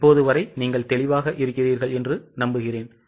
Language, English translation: Tamil, So, getting it, I hope you are clear till now